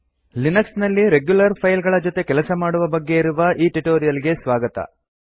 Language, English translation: Kannada, Welcome to this spoken tutorial on working with regular files in Linux